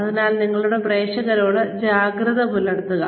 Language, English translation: Malayalam, So be alert to your audience